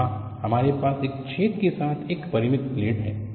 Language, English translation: Hindi, You take an infinite plate with a very small hole